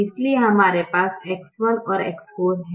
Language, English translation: Hindi, so we have x one and x four